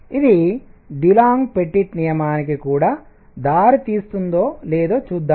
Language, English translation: Telugu, Let us see if it leads to Dulong Petit law also